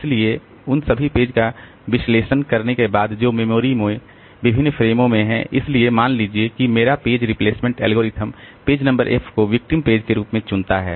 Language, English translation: Hindi, So, after analyzing all the pages that are there in different frames in memory, so suppose my page replacement algorithm selects page number F as the victim page